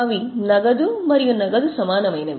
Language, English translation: Telugu, It is a cash equivalent